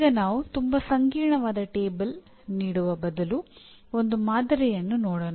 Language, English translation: Kannada, Now let us look at a sample instead of a giving a very complex table